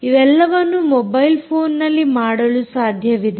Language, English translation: Kannada, right, all of this happened on the mobile phone